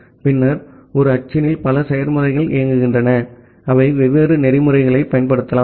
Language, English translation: Tamil, And then in a machine there are multiple processes running, they can use different protocols